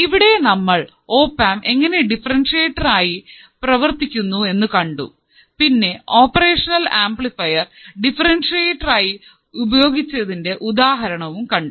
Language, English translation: Malayalam, So, what we have seen, we have seen the opamp as a differentiator, and then we have seen the example of operational amplifier as a differentiator all right